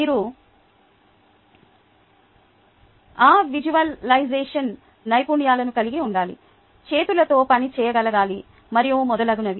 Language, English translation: Telugu, you need to have those visualization skills, must be able to work with hands and so on and so forth